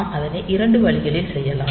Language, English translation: Tamil, So, we can do it in 2 ways